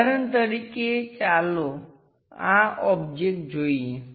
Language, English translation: Gujarati, For example, let us look at this object